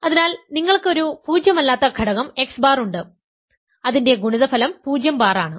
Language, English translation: Malayalam, So, you have a nonzero element x bar whose product with itself is 0 bar